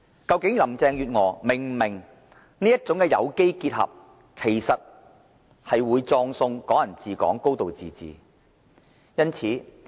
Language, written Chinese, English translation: Cantonese, 究竟林鄭月娥是否明白這種有機結合，其實會葬送"港人治港"、"高度自治"？, Does Carrie LAM understand that such organic combination is actually ruining Hong Kong people ruling Hong Kong and a high degree of autonomy?